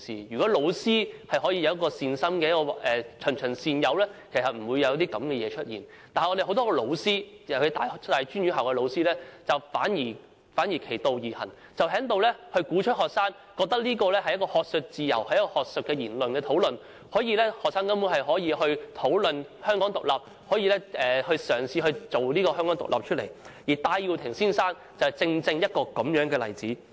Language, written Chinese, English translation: Cantonese, 如果教師可以善心地循循善誘，其實不會有這些事發生，但有很多老師，尤其是大專院校的老師反其道而行，鼓動學生，認為這是學術自由，是學術討論，學生根本可以討論香港獨立，可以嘗試推動香港獨立，而戴耀廷先生正是這樣的例子。, If pedagogues can provide guidance patiently with the best of intentions in fact no such incidents will happen . However many pedagogues particularly those in tertiary institutions are doing the opposite by giving encouragement to students believing that this is academic freedom and engagement in academic discussions that students can talk about Hong Kong independence and try to promote the cause of Hong Kong independence . Mr Benny TAI is precisely one such example